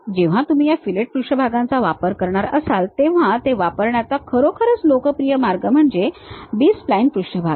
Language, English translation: Marathi, Whenever, you are going to use these fillet surfaces, the popular way of using is B spline surfaces one can really use it